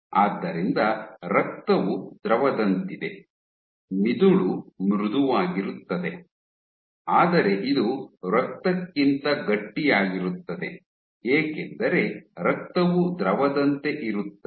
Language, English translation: Kannada, So, you know by default that Blood is Fluid like, Brain is soft, but it is stiffer than blood because blood is like a fluid